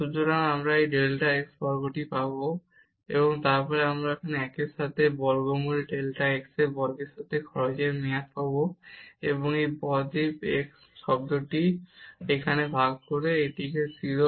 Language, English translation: Bengali, So, we will get this delta x square, and then we will get here the cost term with 1 over square root delta x square, and divided by this delta x term here, and this is 0